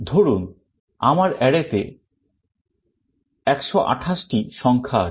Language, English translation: Bengali, Suppose I have 128 numbers in the array